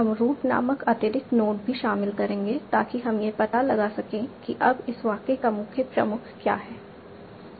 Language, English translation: Hindi, We will also include an additional node called root so that we can find out what is the main head of this sentence